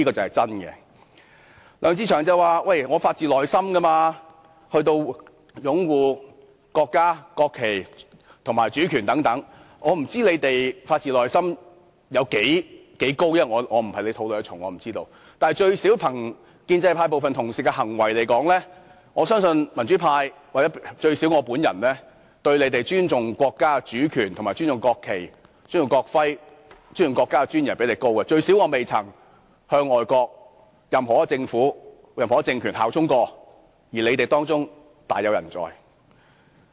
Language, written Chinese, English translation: Cantonese, 梁志祥議員說他是發自內心地擁護國家、國旗和主權等，我不清楚他有多發自內心，我並非他們肚內的蟲，我不會知道，但最少從建制派部分同事的行為看來，我相信民主派，或最少我本人，尊重國家主權、尊重國旗、尊重國徽，以及尊重國家尊嚴的程度也較他們高，最低限度我未曾向外國任何一個政府或政權效忠，而他們當中卻大有人在。, I do not know how spontaneous it is as I am not a worm in his belly . But judging at least by the behaviour of some Members of the pro - establishment camp I believe the democratic camp or at least myself have higher respect for the national sovereignty the national flag the national emblem and the national dignity than they do . At least I have never pledged allegiance to any foreign government or regime while many among them have done so